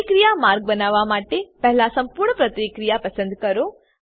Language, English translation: Gujarati, To create a reaction pathway, first select the complete reaction